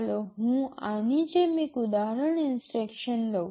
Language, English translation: Gujarati, Let me take an example instruction like this